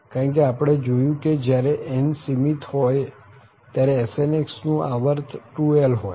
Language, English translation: Gujarati, Because for this when n is finite we have seen that the period of this 2n or Sn x is 2l